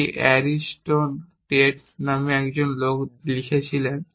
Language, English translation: Bengali, This was written by a guy called Ariston Tate